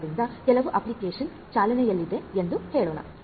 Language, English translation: Kannada, So, let us say that some application is running